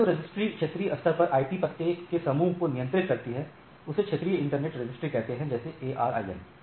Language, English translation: Hindi, So, registry which maintains the IP blocks regional internet registry like ARIN